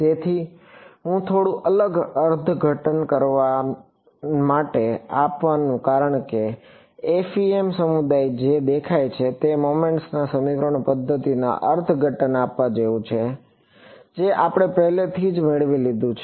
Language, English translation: Gujarati, So, the reason I am giving a slightly different interpretation is because the FEM community it looks; it is like giving a interpretation to the method of moments equations which we had already derived